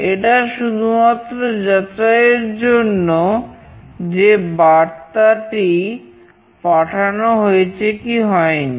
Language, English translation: Bengali, This is just for the checking purpose that the message has been sent or not